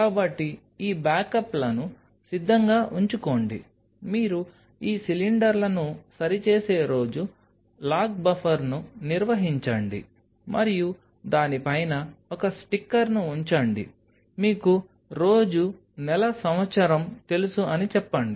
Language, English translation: Telugu, So, have these backups ready, the day you fix these cylinders maintain a log buffer and on top of that put a stick sticker, telling that fixed on say you know day month year